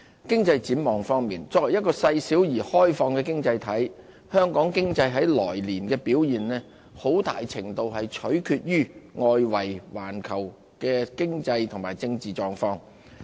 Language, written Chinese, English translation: Cantonese, 經濟展望方面，作為一個細小而開放的經濟體，香港經濟來年的表現很大程度取決於外圍環球的經濟和政治狀況。, As for the economic outlook since Hong Kong is an open and small economy our economic performance in the coming year depends heavily on the economic and political situations of the world